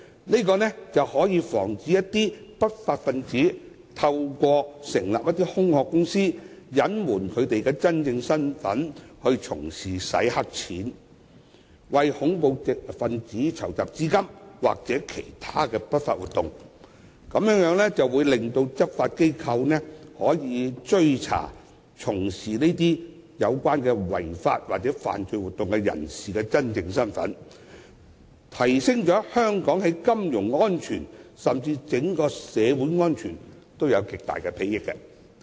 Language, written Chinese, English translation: Cantonese, 這做法可防止不法分子透過成立空殼公司，隱瞞其真正身份，以從事洗黑錢、為恐怖分子籌集資金或其他不法活動，讓執法機構可追查從事這類違法或犯罪活動的人的真正身份，在提升香港的金融安全之餘，對整體社會的安全也有極大裨益。, This practice is to prevent criminals from hiding their true identity by forming shell companies to engage in money laundering terrorist financing or other illegal activities . It also allows law enforcement agencies to trace the true identities of those who engage in such illegal or criminal activities . In so doing it not only enhances Hong Kongs financial security but also greatly benefits Hong Kongs overall social security